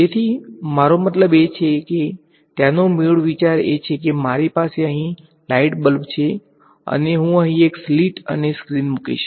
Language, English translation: Gujarati, So, I mean the basic idea there is supposing I have light bulb over here and I put a slit and a screen over here